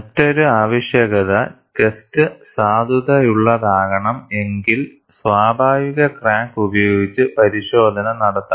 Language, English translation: Malayalam, And another requirement is, for the test to be valid, one should do the test, with a natural crack